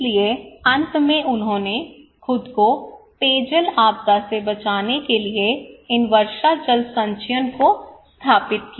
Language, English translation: Hindi, So finally he installed these rainwater harvesting to protect himself from drinking water disaster